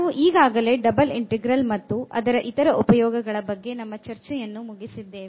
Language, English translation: Kannada, So, we have already finished evaluation of double integrals and many other applications of double integral